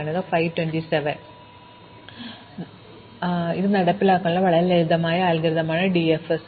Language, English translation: Malayalam, So, DFS is therefore a very simple algorithm to implement